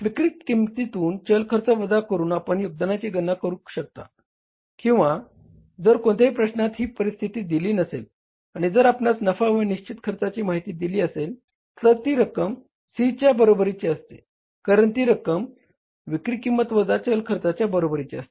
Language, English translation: Marathi, You can calculate the contribution simply by subtracting the variable cost from the selling price or if this situation is not given in any problem and if you are given the information about the profit and the fixed expenses that will also be equal to the C because that is equal to the difference of selling price minus variable cost